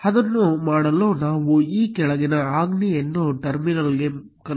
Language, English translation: Kannada, To do that let us copy paste this following command into a terminal